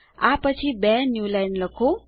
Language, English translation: Gujarati, followed by a newline